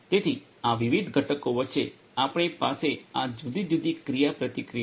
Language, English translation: Gujarati, So, we have these different you know interactions between these different components